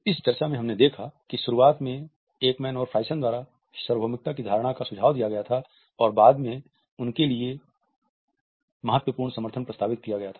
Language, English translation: Hindi, Notions of universality were initially suggested by Ekman and Friesen and later on there had been a large critical support for them